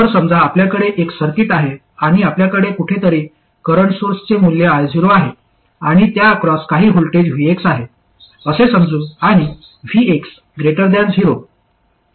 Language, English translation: Marathi, So let's say you have a circuit and you have a current source of value I 0 somewhere and the voltage across that is some VX, let's say, and VX is greater than 0